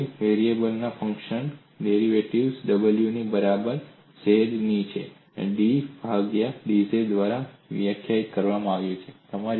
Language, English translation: Gujarati, The derivatives of a function of a complex variable, w equal to f of z, is defined by dw by dz